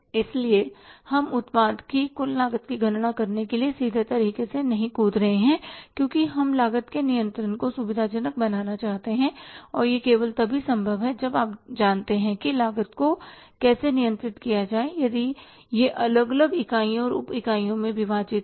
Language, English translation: Hindi, So, we are not jumping state based to calculate the total cost of the product because we want to facilitate the control of the cost and that is only possible if you know that how to control the cost means if it is bifurcated into different units and subunits